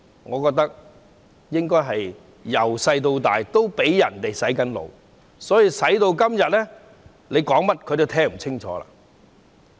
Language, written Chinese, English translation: Cantonese, 我覺得他們自小已"被洗腦"，所以今天說甚麼都聽不清楚。, In my opinion they have all been brainwashed since childhood hence they would not listen to anything nowadays